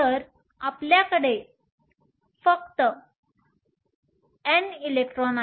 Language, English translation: Marathi, So, You have only N electrons